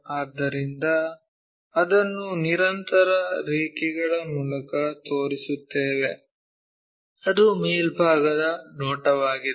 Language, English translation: Kannada, So, we show it by continuous lines it is top view